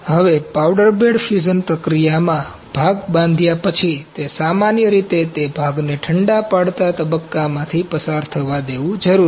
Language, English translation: Gujarati, Now, in powder bed fusion process, after the part is built it is typically necessary to allow the part to go through the cool down stage